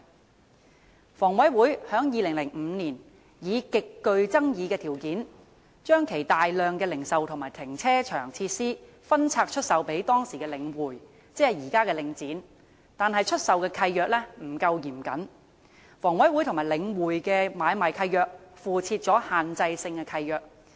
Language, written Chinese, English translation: Cantonese, 香港房屋委員會在2005年以極具爭議的條件將其大量零售和停車場設施分拆出售予當時的領匯房地產投資信託基金，即現在的領展，但出售契約不夠嚴謹，房委會和領匯的買賣契約附設限制性契諾。, The Hong Kong Housing Authority HA divested a large number of its retail and car parking facilities to The Link Real Estate Investment Trust currently known as Link REIT under highly controversial conditions at that time in 2005 . But the assignment deeds are not sufficiently stringent . The assignment deeds between HA and The Link REIT contain Restrictive Covenants